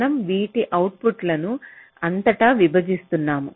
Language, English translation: Telugu, so maybe we are splitting outputs across these